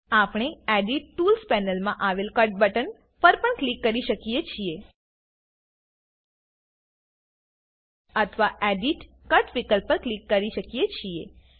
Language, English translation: Gujarati, We can also click on the Cut button in the Edit tools panel OR click on Edit gtgt Cut option